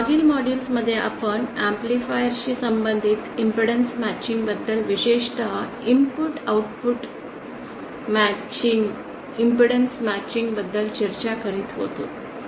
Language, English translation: Marathi, In the previous modules we were discussing about impedance matching as related to an amplifier especially the input and Output impedance matching